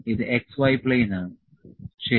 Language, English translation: Malayalam, This is x y plane, ok